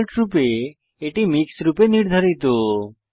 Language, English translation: Bengali, By default, it is set as MIX